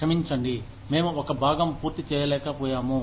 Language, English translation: Telugu, I am sorry, we could not finish, one part